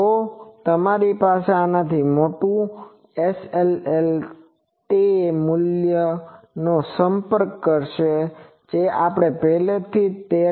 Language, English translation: Gujarati, If you have larger than this, SLL will approach the value that we have already derived 13